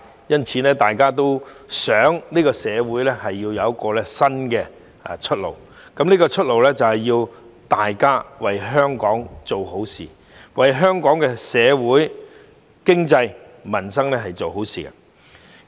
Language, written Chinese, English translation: Cantonese, 因此，大家都想社會有新出路，大家都要為香港做好事，為香港社會、經濟、民生做好事。, So all of us would like a new way out for society and we all have to do something good for Hong Kong our society economy and peoples livelihood